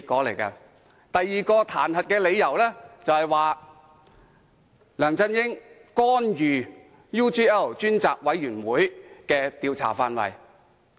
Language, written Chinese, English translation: Cantonese, 他們提出的另一個彈劾理由，是梁振英干預調查 UGL 事件專責委員會的調查範圍。, Another reason for the impeachment given by them is that LEUNG Chun - ying has interfered with the scope of inquiry of the Select Committee to inquire into matters about UGL